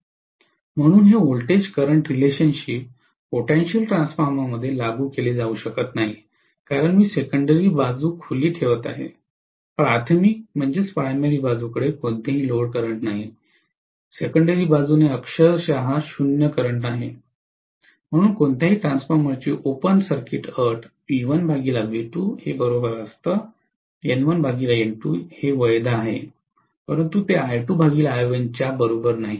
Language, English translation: Marathi, So this voltage current relationship cannot be applied in a potential transformer because I am keeping the secondary side as open, the primary side will have no load current, secondary side has literally zero current, so under open circuit condition of any transformer V1 by V2 equal to N1 by N2 is valid, but that is not equal to I2 by I1, okay